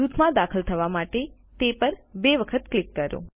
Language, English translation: Gujarati, Double click on it in order to enter the group